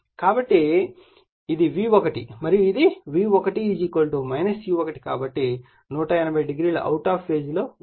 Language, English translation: Telugu, So, this is V1 and this is V1 = minus E1 so, 180 degree out of phase